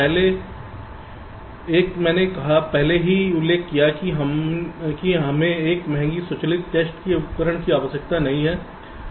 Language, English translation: Hindi, we first one: i already mentioned that we do not need an expensive automated test equipment